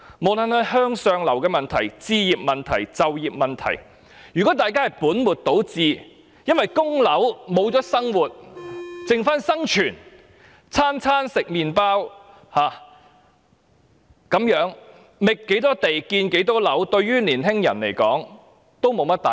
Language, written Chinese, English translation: Cantonese, 不論是向上流動的問題、置業問題或就業問題，如果大家本末倒置，因為供樓而失去了生活，只剩下生存，每餐只吃麵包，那麼不管覓多少地、建多少樓，對青年人而言也意思不大。, Regardless of whether the problem is upward mobility home ownership or employment if we put the cart before the horse focusing on mortgage payment to the neglect of a decent living life is merely a matter of survival living on bread for every meal then no matter how many more sites are identified and how many more buildings are constructed they do not make any sense to young people